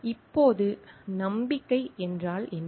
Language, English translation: Tamil, Now, what is confidence